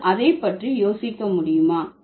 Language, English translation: Tamil, Can you think about it